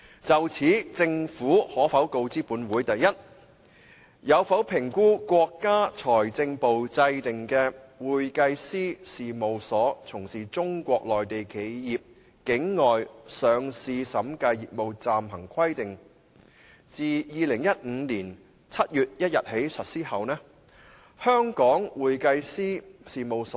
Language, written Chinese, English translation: Cantonese, 就香港核數師在內地執行審計工作而言，梁議員提及的《會計師事務所從事中國內地企業境外上市審計業務暫行規定》是中國財政部的一項主要監管規定。, The Interim Provisions on Accounting Firms Provision of Auditing Services for the Overseas Listing of Enterprises in Mainland China as mentioned by Mr LEUNG is one of the principal regulatory requirements promulgated by the Ministry of Finance MoF to govern Hong Kong auditors in carrying out auditing work in the Mainland